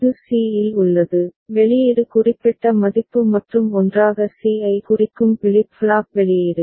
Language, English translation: Tamil, It is at c, the output is certain value and together with the flip flop output which is representing c